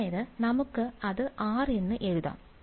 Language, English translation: Malayalam, Now I will just write G of r